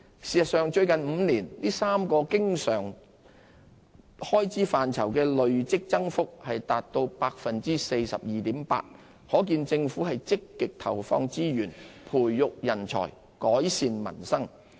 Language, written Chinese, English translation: Cantonese, 事實上，最近5年，這3個經常開支範疇的累積增幅達 42.8%， 可見政府積極投放資源培育人才，改善民生。, In fact recurrent expenditure in these three areas recorded a cumulative increase of 42.8 % over the past five years which bear testimony to the proactive efforts of the Government in ploughing resources into nurturing talent and improving peoples livelihood